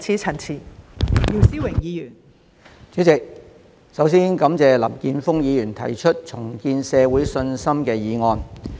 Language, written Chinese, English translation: Cantonese, 代理主席，首先感謝林健鋒議員提出"重建社會信心"議案。, Deputy President first of all I thank Mr Jeffrey LAM for proposing the motion on Rebuilding public confidence